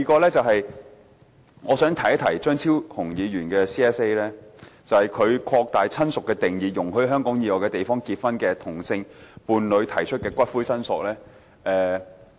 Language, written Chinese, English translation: Cantonese, 第三，我想提一提張超雄議員的 CSA， 他提出擴大親屬的定義，容許在香港以外地方結婚的同性伴侶提出的骨灰申索。, Third I wish to talk about Dr Fernando CHEUNGs amendment . He proposes to extend the definition of relative to allow same - sex partners married outside Hong Kong to claim the ashes